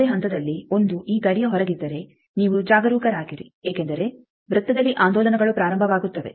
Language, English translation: Kannada, If at any point 1 is outside of this boundary then you be careful because oscillations are starting in the circle